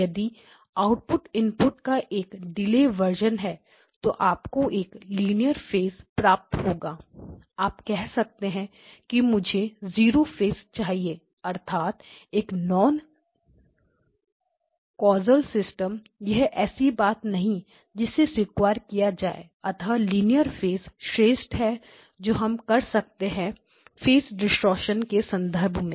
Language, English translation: Hindi, Because if the output is a delayed version of the input then you will get linear phase so linear phase you may say I want zero phase means it is a non causal system that is not something that we may be able to accept so linear phase is the best that we can do in terms of phase distortion